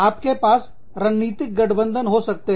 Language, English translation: Hindi, You could have, strategic alliances